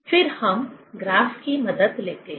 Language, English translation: Hindi, Then, we take help of graph